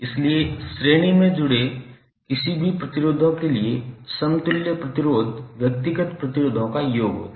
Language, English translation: Hindi, So, equivalent resistance for any number of resistors connected in series would be the summation of individual resistances